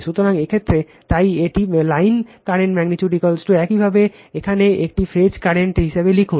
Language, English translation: Bengali, So, in this case, so it is line current magnitude is equal to your write as a phase current here